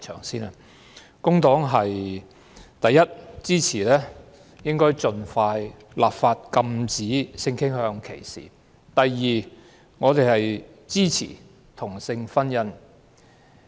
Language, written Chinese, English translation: Cantonese, 第一，工黨支持盡快立法禁止性傾向歧視；第二，我們支持同性婚姻。, For one the Labour Party supports legislating as soon as possible to prohibit discrimination on the ground of sexual orientation . Secondly we support same - sex marriage